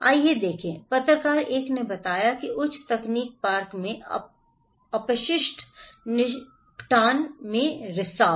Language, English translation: Hindi, Let’s look, journalist 1 reported like that “Leak in waste disposal at high tech Park”